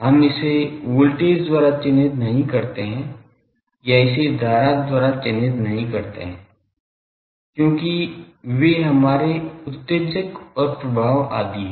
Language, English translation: Hindi, We do not characterized it by voltage or do not characterize it by current because those are our excitation and affects etc